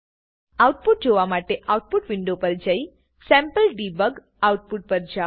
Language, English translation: Gujarati, We can also look at the Output window with the sample debug output